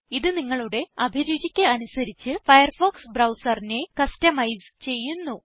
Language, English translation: Malayalam, It customizes the Firefox browser to your unique taste